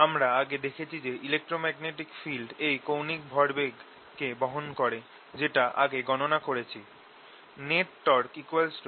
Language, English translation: Bengali, we have already shown that the electromagnetic field carries this angular momentum which we calculated earlier